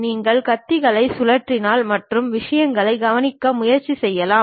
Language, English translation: Tamil, In fact, you can rotate the blades and try to observe the things also